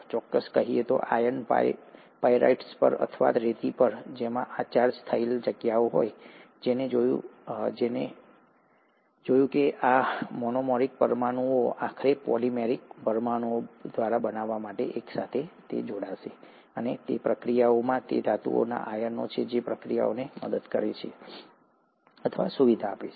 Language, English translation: Gujarati, To be specific, on iron pyrite or on sand, which do have these charged sites, and he found that these monomeric molecules would eventually join together to form polymeric molecules, and in the process it is the metal ions which are helping or facilitating the process of condensation